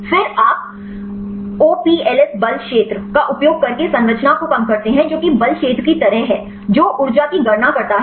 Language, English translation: Hindi, Then you minimize the structure using the OPLS force field that is the kind of force field which calculate the energy